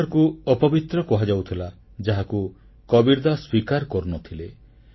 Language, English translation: Odia, Maghar was considered unholy but Sant Kabirdas never subscribed to that view